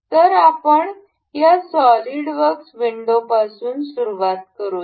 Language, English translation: Marathi, So, let us begin with this SolidWorks window